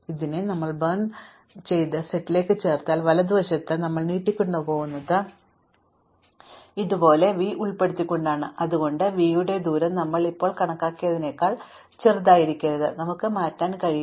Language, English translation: Malayalam, So, the claim is that if we now add this to our burnt set, right so we extended are burnt set like this by include v, then, the distance of v cannot be actually smaller than what we have computed now and we could not change because of a later update